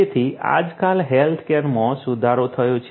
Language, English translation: Gujarati, So, health care now a days have improved